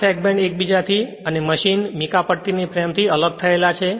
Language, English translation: Gujarati, These segments are separated from one another and from the frame of the machine by mica strip right